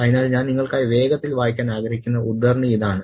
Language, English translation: Malayalam, So this is the extract that I want to read quickly for you